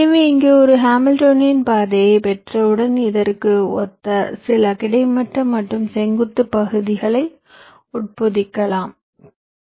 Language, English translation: Tamil, so, once you got a hamiltionian path, you embed some horizontal and vertical segments corresponding to this hamilionian path